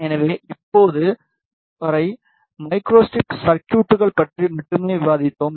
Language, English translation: Tamil, So, up to now we discussed about Micro Strip Circuits only